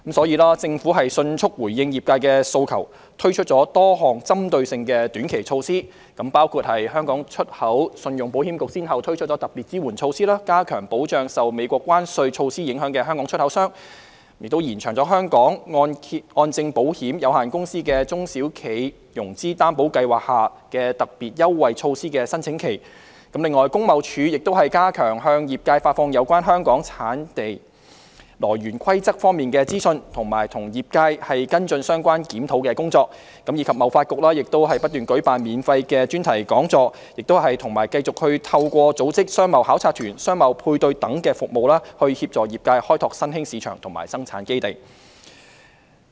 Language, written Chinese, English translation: Cantonese, 因此，政府迅速回應業界訴求，推出多項針對性的短期措施，包括：香港出口信用保險局先後推出特別支援措施，加強保障受美國關稅措施影響的香港出口商；延長香港按證保險有限公司的"中小企融資擔保計劃"下的特別優惠措施的申請期；工業貿易署加強向業界發放有關香港產地來源規則方面的資訊，並與業界跟進相關檢討工作；及香港貿易發展局不斷舉辦免費專題講座，亦繼續透過組織商貿考察團、商貿配對服務等，協助業界開拓新興市場及生產基地。, Therefore the Government has responded promptly to the industrys demands and introduced a number of targeted short - term measures which include The Hong Kong Export Credit Insurance Corporation has introduced special support measures to strengthen the protection of Hong Kong exporters affected by the tariff measures of the United States; the application period for the special concessionary measures under the SME Financing Guarantee Scheme of the Hong Kong Mortgage Corporation Insurance Limited has been extended; the Trade and Industry Department has stepped up the dissemination of information on the Hong Kong Origin Rules to the industry and followed up the relevant review with the industry; and the Hong Kong Trade Development Council has continued to organize free thematic talks and assist the industry in exploring emerging markets and production bases by organizing business missions and providing business matching services